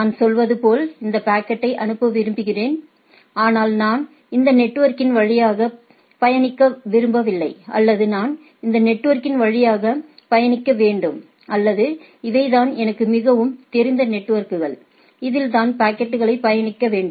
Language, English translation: Tamil, Like I can say, that I want to forward this packet, but I do not want to travel through this network right or I must travel through this network or these are the networks which I which are more friendly networks which my packet need to be travel etcetera, right